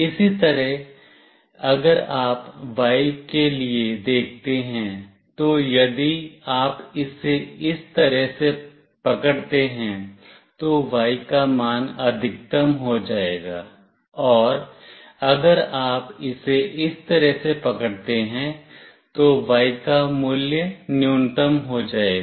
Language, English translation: Hindi, Similarly, for Y if you see, if you hold it this way, the Y value will be maximum; and if you hold it in this way, the Y value will be minimum